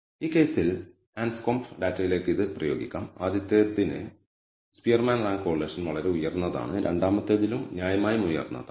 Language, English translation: Malayalam, So, let us apply it to the Anscombe data set in this case also we find that the, for the first one the Spearman rank correlation is quite high in the second one also reasonably high